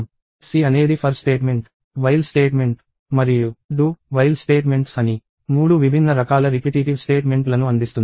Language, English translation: Telugu, So, C offers three different kinds of repetitive statements namely for statement, the while statement and the do while statement